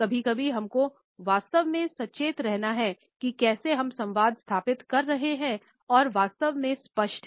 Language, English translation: Hindi, And so, sometimes we have to be really conscious of how are we communicating and are we really being clear